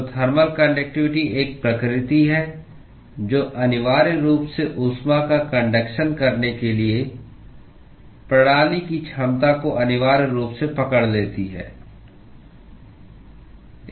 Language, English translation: Hindi, So, thermal conductivity is a property which essentially captures the ability of the system to actually conduct heat